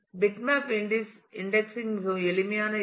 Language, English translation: Tamil, Bitmap indexing is a very simple idea